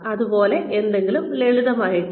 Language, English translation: Malayalam, Something, as simple as that